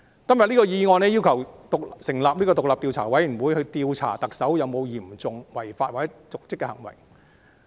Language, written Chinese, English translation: Cantonese, 今天的議案要求成立獨立調查委員會，調查特首有否嚴重違法或瀆職行為。, The motion today requests the setting up of an independent investigation committee to investigate the charges against the Chief Executive for serious breach of law or dereliction of duty